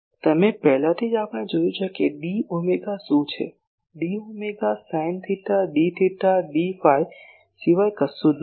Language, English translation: Gujarati, What you already we have seen that what is d omega; d omega is nothing but sin theta d theta d phi